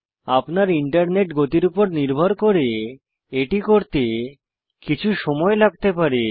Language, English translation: Bengali, This could take a few minutes depending on your Internet speed